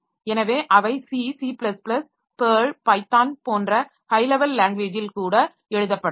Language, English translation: Tamil, So, they may be written even in higher level language, I see C++, PIR, Python, etc